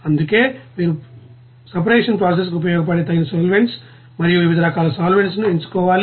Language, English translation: Telugu, That is why you have to select that suitable solvents and various types of solvent which is useful for the separation process